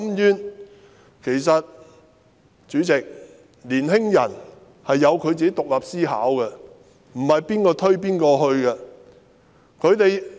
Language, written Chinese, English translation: Cantonese, 主席，其實年輕人自己有獨立思考，沒有誰能推動他們。, Chairman young people actually have their own independent thinking . No one can push them